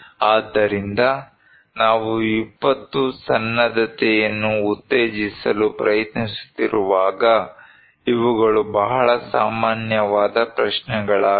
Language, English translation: Kannada, So, these are very common questions when we are trying to promote disaster preparedness